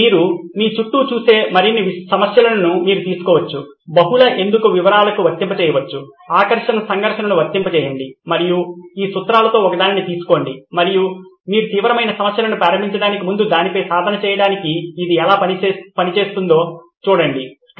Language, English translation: Telugu, So you can take up more problems that you see all around you, apply the multi why, apply conflict of interest and take one of these principles and see if how it works just to get practice on that before you can embark on serious problems